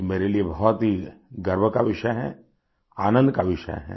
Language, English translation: Hindi, For me, it's a matter of deep pride; it's a matter of joy